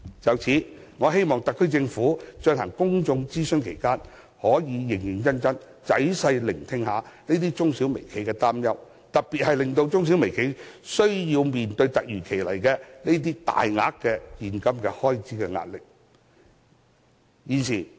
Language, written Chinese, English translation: Cantonese, 就此，我希望特區政府在進行公眾諮詢期間，能認真仔細聆聽這些中小微企的擔憂，特別是需要面對這些突如其來的大額現金開支的壓力。, In this connection I hope the SAR Government can seriously and carefully listen to the concerns of these SMEs and micro - enterprises during the public consultation period especially their pressure of having to deal with a sum of unexpected cash expenditure